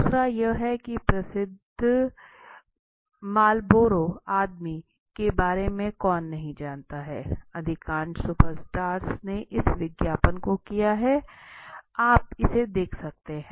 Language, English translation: Hindi, Second is who does not know about the famous Marlboro man right, so all the most of the super stars they have done this ad also right, so if you can look at this